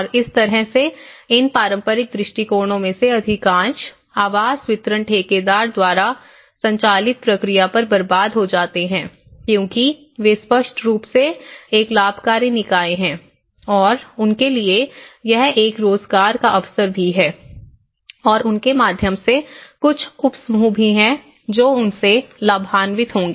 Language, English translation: Hindi, And that is how most of these traditional approaches the housing delivery is wasted upon the contractor driven process because they are obviously a profit making body and for them also it is an employment opportunity and through them, there is also some subgroups which will also benefit from them